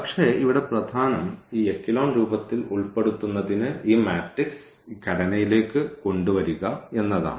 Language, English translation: Malayalam, But, what is important here to put into this echelon form we have bring into this structure which this matrix has